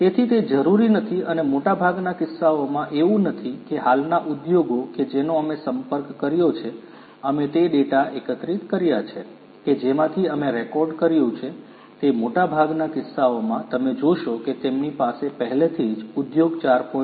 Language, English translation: Gujarati, So, it is not necessary and in most cases it is not the case that the existing industries that we have contacted, that we have collected the data from which we have recorded it is in most cases you will find that they do not already have the high standards towards industry 4